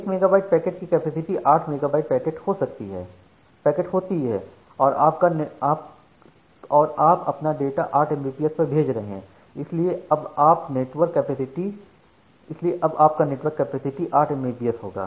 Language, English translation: Hindi, So, 1 megabyte packet means it is 8 megabit packet and you are transferring data at a rate of 8 Mbps